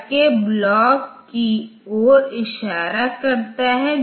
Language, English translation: Hindi, Now, R 13 was pointing to the destination